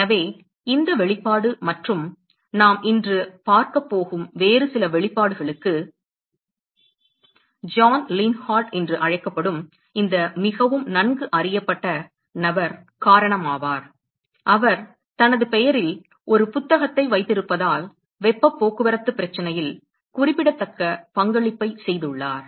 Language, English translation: Tamil, So, this expression and some of the other expressions we are going to see today is because of this very well known person called John Lienhard; he has made significant contributions to heat transport problem that he has a book to his name